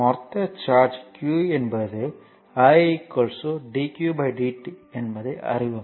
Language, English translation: Tamil, So, total charge is q you know you know that i is equal to dq by dt